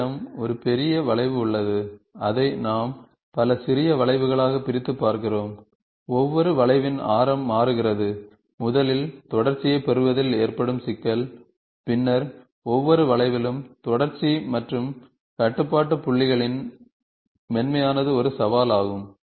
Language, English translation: Tamil, Suppose you have a big curve and we have discretizing it into several small curves and the radius of each curve is changing, then the problem of, first getting continuity and then smoothness of the continuity and control points in each arc curve, is a challenge